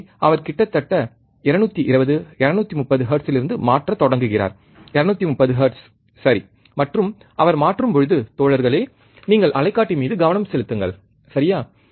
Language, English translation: Tamil, So, he is changing from almost 220, 230 hertz, right 230 hertz, and he is changing so, guys you focus on the oscilloscope, alright